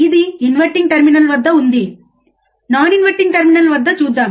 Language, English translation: Telugu, This is at inverting terminal, let us see at non inverting terminal,